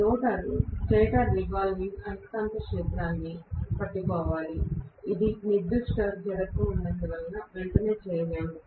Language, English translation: Telugu, The rotor has to catch up with the stator revolving magnetic field, which it will not be able to do right away because it has certain inertia